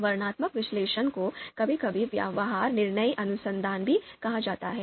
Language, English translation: Hindi, So this descriptive analysis is also sometimes referred as behavior decision research